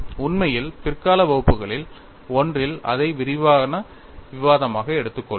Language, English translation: Tamil, In fact, we would take that as a detailed discussion in one of the later classes